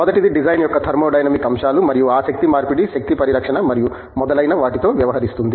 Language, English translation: Telugu, The first one deals with Thermodynamic aspects of design and things like that energy conversion, energy conservation and so on